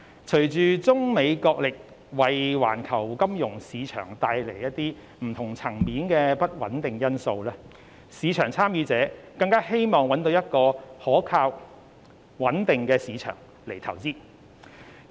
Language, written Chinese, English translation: Cantonese, 隨着中美角力為環球金融市場帶來不同層面的不穩定因素，市場參與者更希望找到可靠和穩定的市場進行投資。, Given unstable factors affecting the global financial market at various levels due to the wrestling between China and the United States market participants all the more wish to look for reliable and stable markets for investment